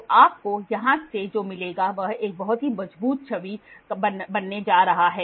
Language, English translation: Hindi, So, what you get from here is going to be a very strong image